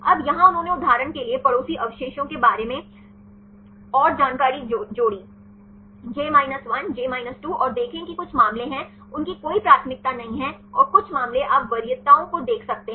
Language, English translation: Hindi, Now, here they added more information regarding neighboring residues for example, j 1, j 2 and see some cases is they do not have any preferences and some cases you can see the preferences